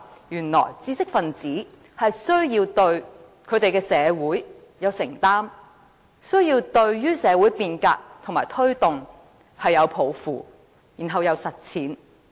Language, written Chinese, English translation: Cantonese, 原來知識分子是需要對他們的社會有承擔，需要對社會變革和推動有抱負，繼而實踐。, I then learnt that intellectuals had their commitment to society they should aspire to and advocate social reform and then put it into implementation